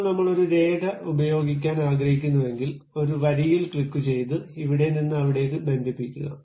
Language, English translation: Malayalam, Now, if I would like to use a line, I just click a line, connect from there to there